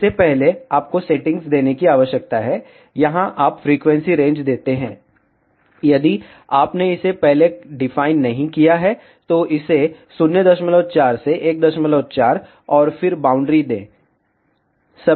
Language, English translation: Hindi, Before this, you need to give the settings, here you give the frequency range, if you have not defined it earlier give it from 0